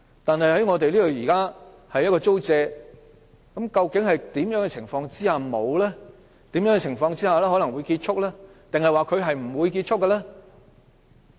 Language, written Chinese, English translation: Cantonese, 但是，現時的租借期究竟在甚麼情況下結束，甚麼情況下可能會結束，還是不會結束呢？, The questions are Under what circumstances will the lease period terminate? . Under what circumstances will it terminate or not terminate?